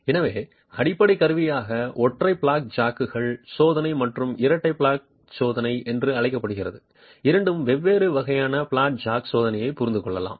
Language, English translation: Tamil, So, with that as the basic instrumentation, let us understand the two different types of flat jack testing called single flat jack testing and double flat jack testing where basically you are using one flat jack versus two flat jacks